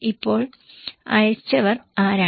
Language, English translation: Malayalam, Now, who are the senders